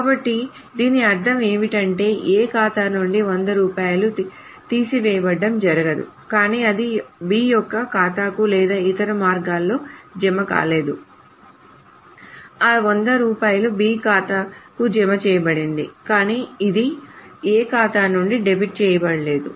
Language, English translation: Telugu, So what do we mean by that is that it cannot happen that rupees hundred have been deducted from A's account but it has not been credited to B's account or the other way around that rupees hundred have been credited to B's account but it has not been debited from's account